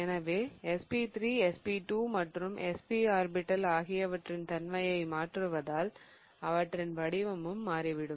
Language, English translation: Tamil, So, the shape of SP3 versus SP2 and SP orbitals is also going to change as I am going to change the S character in them